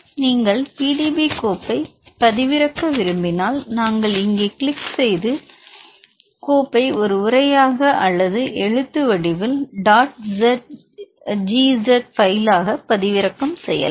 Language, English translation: Tamil, If you wish to download the PDB file, you can click here and download the file as a text or dot GZ file